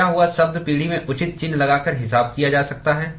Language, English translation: Hindi, Lost term could be accounted in the generation by putting appropriate sign